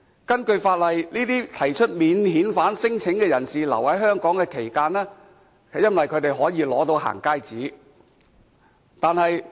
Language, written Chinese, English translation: Cantonese, 根據法例，這些提出免遣返聲請人士在逗留香港期間，可以取得"行街紙"。, In accordance with the law while staying in Hong Kong these non - refoulement claimants can obtain going - out passes